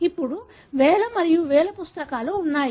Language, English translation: Telugu, Now, there are thousands and thousands of books